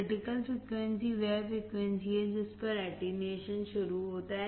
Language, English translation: Hindi, Critical frequency is the frequency at which the attenuation starts